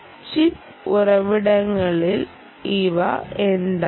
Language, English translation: Malayalam, ah, what are these on chip resources